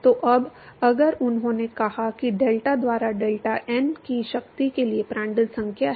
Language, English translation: Hindi, So, now, if he said that delta by deltat is Prandtl number to the power of n